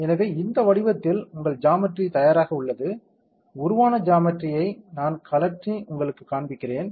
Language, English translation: Tamil, So, this way your geometry is ready, we can see the geometry that has been formed I am rotating and showing you